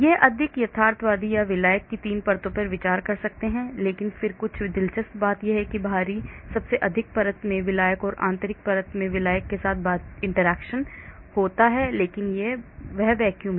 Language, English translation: Hindi, But it is more realistic or I can consider 3 layers of solvent but then some interesting thing is the solvent at the outer most layer has interaction with the solvent in the inner layer, but outside that is the vacuum